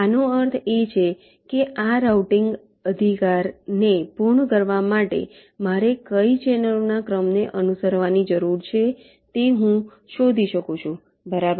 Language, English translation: Gujarati, this means i can find out which sequence of channels i need to follow to complete this routing